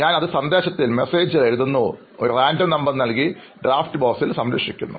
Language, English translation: Malayalam, I just write it in the message; I put a number, random number and save it in that draft box